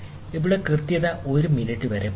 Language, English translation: Malayalam, So, here the accuracy can go up to 1 minute